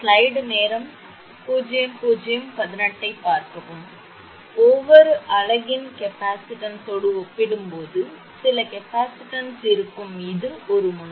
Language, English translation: Tamil, So, reduction in some capacitance relative to the capacitance of each unit this is one end